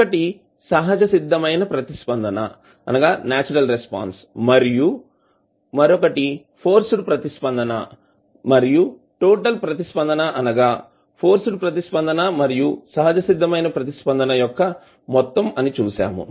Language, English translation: Telugu, 1 is natural response and another is forced response and we saw that the total response is the sum of force response as well as natural response